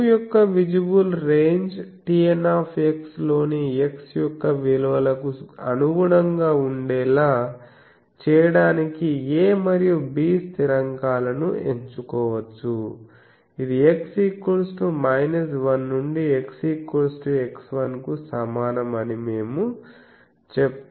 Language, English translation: Telugu, The constants a and b can be chosen to make the visible range of u correspond to values of x in T N x that range from x is equal to minus 1 up to so we say that up to x is equal to x 1